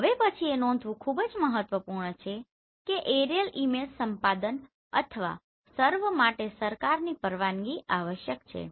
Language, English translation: Gujarati, Now the next is it is very important to note that for aerial image acquisition or survey government permission is essential